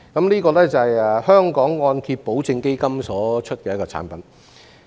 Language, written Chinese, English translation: Cantonese, 這個是按揭保證基金所推出的產品。, This is a product launched under the mortgage guarantee fund